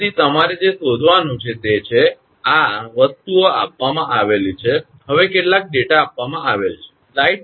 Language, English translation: Gujarati, So, what you have to find out is, these are the things given; now some data are given